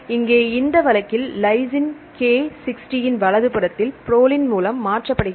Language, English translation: Tamil, Here in this case lysine K is replaced with proline at residue number 60 right